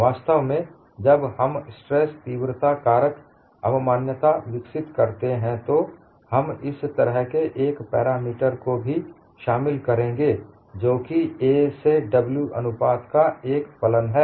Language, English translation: Hindi, In fact, when we develop the stress intensity factor concept, we will also involve this kind of a parameter, which is a function of the a by w ratio